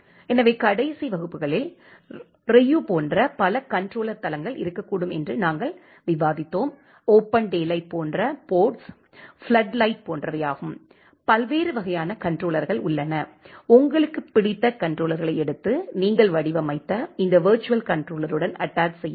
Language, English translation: Tamil, So, in the last class we are discussing that there can be multiple such controller platforms like Ryu like that porks like open daylight, like floodlight, there are different kind of controllers you can pick up your favorite controllers and attach it with this virtual controller that you are designed